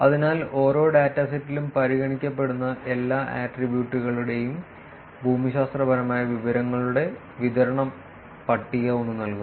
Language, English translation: Malayalam, So, table one provides the distribution of geographic information of all considered attributes in each dataset in each dataset